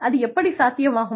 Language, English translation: Tamil, How can, that be possible